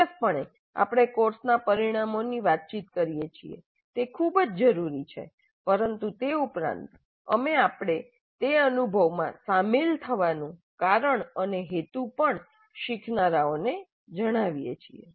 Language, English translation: Gujarati, So certainly we communicate course outcomes that is very essential but beyond that we also inform the learners the reason for and purpose of engaging in that experience